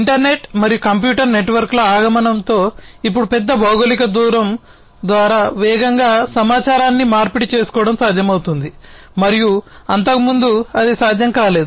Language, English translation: Telugu, So, now with the advent of the internet and the computer networks and so on, now it is possible to rapidly in to exchange information rapidly over large geographical distance and that was not possible earlier